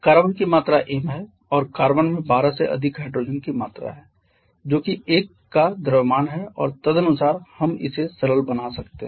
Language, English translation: Hindi, There is m amount of carbon and carbon has a mass of 12 plus n amount of hydrogen which is the mass of 1 and accordingly we can simplify this so in the numerator we have 32 + 3